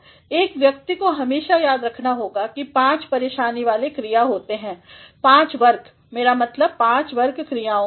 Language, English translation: Hindi, One must always remember that there are five troublesome verbs, five categories; I mean five categories of verbs